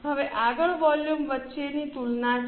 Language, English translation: Gujarati, Now, next is comparison between the volume